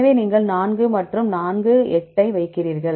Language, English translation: Tamil, So, you put 4 and 4, 8